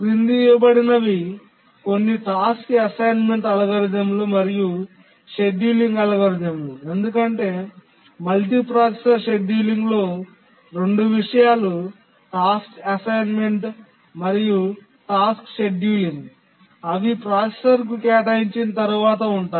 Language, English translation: Telugu, Now let's look at some task assignment algorithms and then we'll see the scheduling algorithms because the multiprocessor scheduling consists of two things the task assignment and also the task scheduling once they have been assigned to a processor